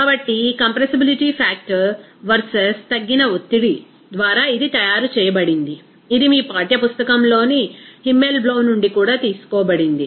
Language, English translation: Telugu, So, this compressibility factor versus reduced pressure, it is made, it is also taken from Himmelblau that is from your textbook